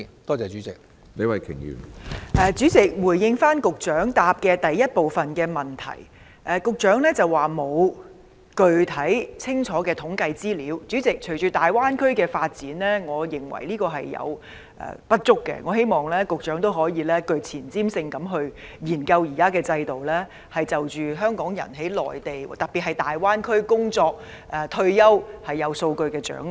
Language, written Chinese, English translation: Cantonese, 主席，局長的主體答覆第一部分提到沒有具體清楚的統計資料，但隨着大灣區發展，我認為這並不足夠，希望局長可以更具前瞻性地研究現行制度，並掌握香港人在內地，特別是在大灣區工作和退休的數據。, President it is mentioned in part 1 of Secretarys main reply that the Government does not have comprehensive statistical information . However with the development of the Greater Bay Area I think this is not enough . I hope that the Secretary can study the existing system more proactively and get hold of the statistics on Hong Kong people working and retiring in the Mainland especially in the Greater Bay Area